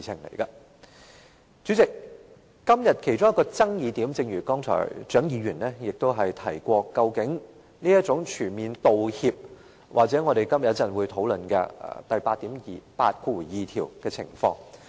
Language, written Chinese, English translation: Cantonese, 代理主席，今天其中一個爭議點——正如剛才蔣議員亦有提及——在於"全面道歉"或我們今天稍後會討論第82條的情況。, Deputy President a point of contention today as also touched upon by Dr CHIANG just now is on full apology or clause 82 which we will discuss later today